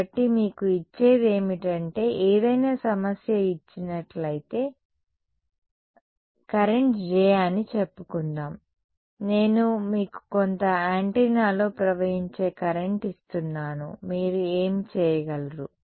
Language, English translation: Telugu, So, what is given to you is if any problem is given let us say the current J, I give you the current that is flowing in some antenna what can you do